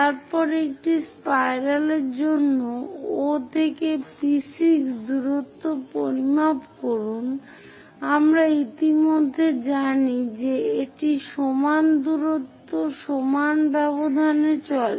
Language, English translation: Bengali, Then measure O to P6 distance for a spiral we already know it moves equal distances in equal intervals of time